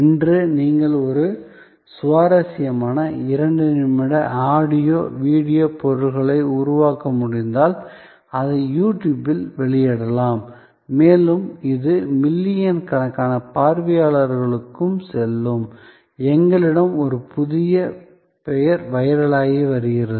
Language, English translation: Tamil, Today, if you can produce an interesting 2 minutes of audio, video material, you can publish it on YouTube and it will go to millions of viewers, we have a new name going viral